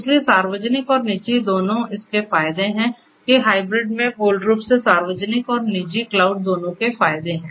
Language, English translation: Hindi, So, both public and private and it has that advantages the hybrid basically has advantages of both the public and the private cloud